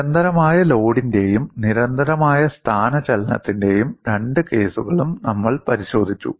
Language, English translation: Malayalam, We have looked at both the cases of constant load and constant displacement, and there was a difference